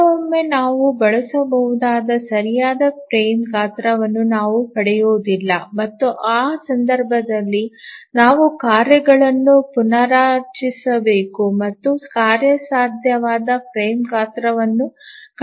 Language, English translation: Kannada, Sometimes we don't get correct frame size that we can use and in that case we need to restructure the tasks and again look for feasible frame size